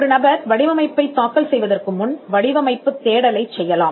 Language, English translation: Tamil, Before a person files for a design, the person can do a design search